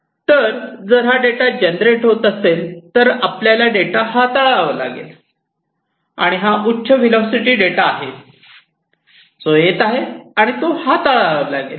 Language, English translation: Marathi, So, if the data is getting generated you have to handle the data and this is a high velocity data that is coming in and that has to be handled